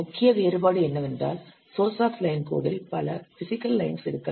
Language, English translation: Tamil, The major difference is that a single source line of code, it may be several physical lines